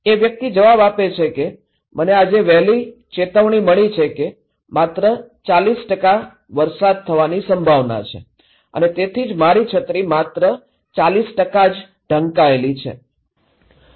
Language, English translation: Gujarati, This person is answering because I receive an early warning today and is saying that there is a chance of rain 40% and that’s why only 40% of my umbrella is covered